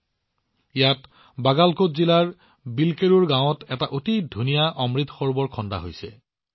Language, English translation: Assamese, Here in the village 'Bilkerur' of Bagalkot district, people have built a very beautiful Amrit Sarovar